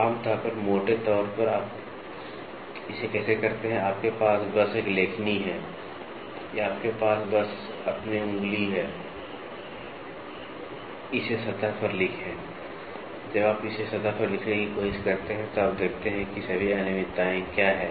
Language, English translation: Hindi, Generally speaking, in a roughness how do you do it, you just have a stylus or you just have your finger, scribe it over the surface, when you try to scribe it over a surface then, you see what are all the irregularities